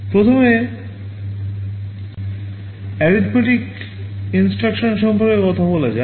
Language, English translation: Bengali, First let us talk about the arithmetic instructions